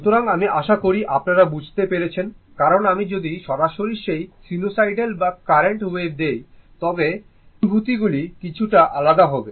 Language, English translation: Bengali, So, I hope you have understood because directly if I give you directly that your sinusoidal or current wave, then feelings will be slightly different